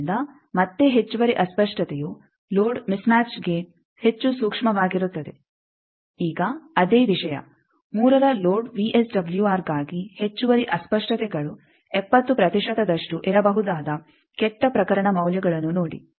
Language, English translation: Kannada, So, again additional distortion is more sensitive to load mismatch, the same thing now see the worst case values that for load VSWR of 3 additional distortions, may be 70 percent